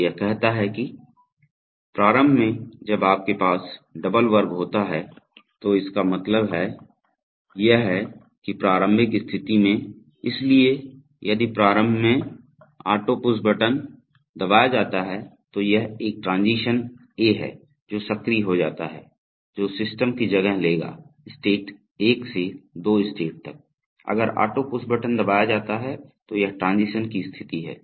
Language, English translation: Hindi, So, you see that it says that, Initially the, when you have double square it means that is the initial state, so if initially, if the auto push button is pressed, this is a transition A which gets activated, which will take place and take the system from state 1 to state 2, if the auto push button is pressed, so this is the transition condition